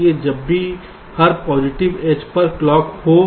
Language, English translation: Hindi, so whenever there is a clock, at every positive edge